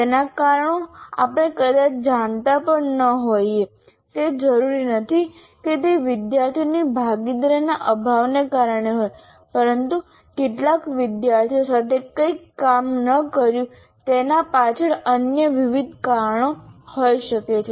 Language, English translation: Gujarati, It is not necessarily lack of participation by the student, but it can be a variety of other background reasons why something did not work with some students